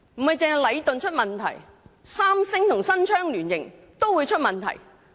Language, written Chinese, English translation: Cantonese, 不單禮頓出現問題，連三星新昌也出現問題。, Leighton is not the only contractor that has problems SHC also has its problems